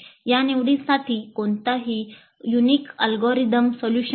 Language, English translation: Marathi, And for these choices, there is no unique algorithmic solution approach